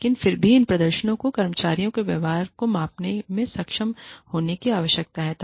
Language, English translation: Hindi, But still, these performance appraisals, need to be able to measure, the behavior of employees